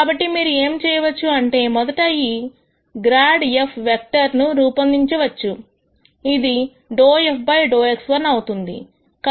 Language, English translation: Telugu, So, what you can do is you can first construct this grad f vector which is dou f dou x 1